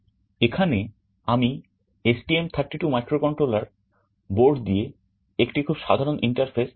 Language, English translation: Bengali, Here I am showing a very typical interface with the STM32 microcontroller board